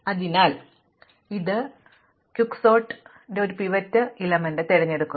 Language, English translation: Malayalam, So, this is quick sort, choose a pivot element